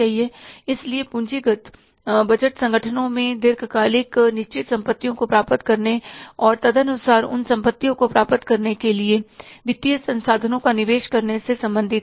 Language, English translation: Hindi, So, capital budgeting deals with the acquiring the long term fixed assets in the organizations and accordingly investing the financial resources for acquiring those assets